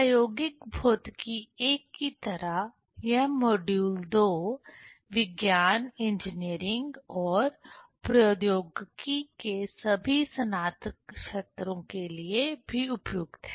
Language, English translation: Hindi, Like the experimental physics I, this module II is also suitable for all undergraduate students of science, engineering and technology